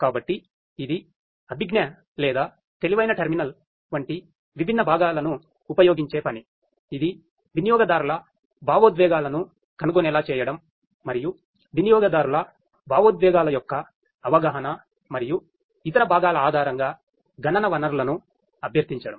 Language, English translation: Telugu, So, this is the work which uses different components such as the cognitive or the intelligent terminal which is tasked with the sensing of the users emotions and requesting computing resources based on the perception of the emotions of the users and different other components